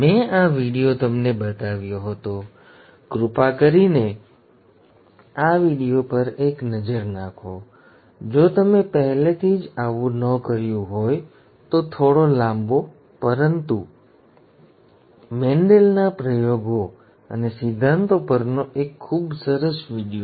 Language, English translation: Gujarati, I had pointed out I had pointed this video to you, please take a look look at this video, if you have not already done so; slightly longish, but a very nice video on Mendel’s experiments and principles